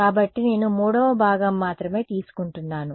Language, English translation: Telugu, So, I am only taking the 3rd component right